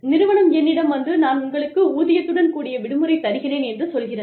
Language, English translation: Tamil, Company says, I will give you a paid vacation